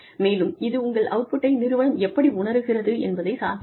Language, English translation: Tamil, And, that depends on, you know, how the organization perceives your output